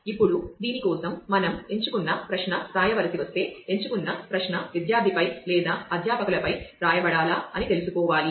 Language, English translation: Telugu, Now, if we have to write a select query for this we will need to know whether the select query should be written on the student or with the faculty